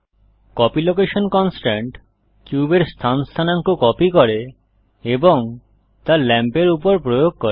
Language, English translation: Bengali, The copy location constraint copies the location coordinates of the cube and applies it to the lamp